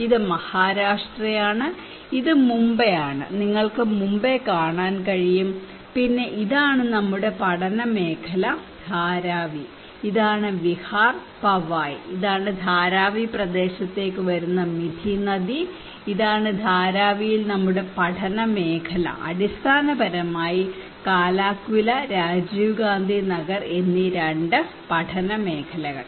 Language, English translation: Malayalam, This is Maharashtra, and this is Mumbai you can see Mumbai and then here is our study area Dharavi this is Mithi river coming for Vihar, Powai and this is Dharavi area and this is our study area, two study areas basically Kalaquila and Rajiv Gandhi Nagar in Dharavi